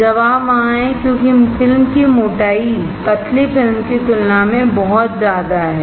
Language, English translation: Hindi, The step is there because the film thickness is very large compared to thin film